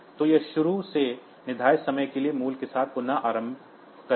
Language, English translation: Hindi, So, it will restart with some initially set time value it will be restarting